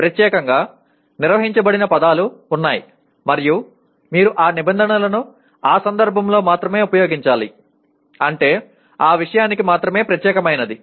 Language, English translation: Telugu, There are terms that are defined specifically and you have to use those terms only in that context